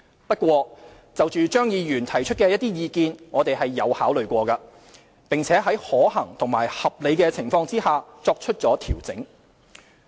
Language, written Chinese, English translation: Cantonese, 不過，就張議員提出的一些意見，我們有考慮過，並在可行和合理情況下，作出了調整。, Notwithstanding this we have considered some of the comments raised by Mr Tommy CHEUNG and had made refinements to the Scheme where practicable and reasonable